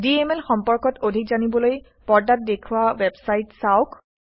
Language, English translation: Assamese, To know more about DML, visit the website shown on the screen